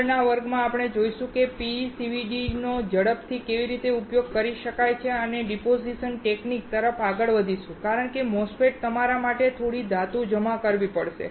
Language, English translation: Gujarati, In the next class we will see how PECVD can be used quickly and will move on to the deposition technique because in a MOSFET, you have to deposit some metal